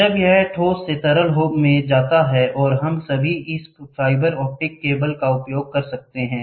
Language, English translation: Hindi, When from the solid it goes to liquid and all we can use this fibre optic cable